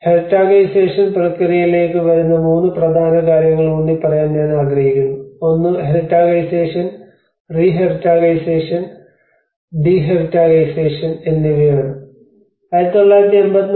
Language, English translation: Malayalam, And coming to the Heritagisation process I would like to emphasise on 3 important aspects one is a heritagisation, re heritagisation and de heritagisation